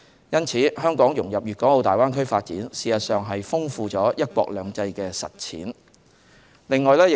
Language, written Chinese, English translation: Cantonese, 因此，香港融入粵港澳大灣區發展，事實上是豐富了"一國兩制"的實踐。, Therefore the integration of Hong Kong into the development of the Greater Bay Area will actually enrich the implementation of one country two systems